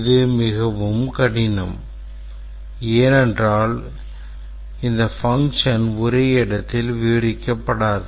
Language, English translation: Tamil, It would become very difficult because this functionality would not be described just at one place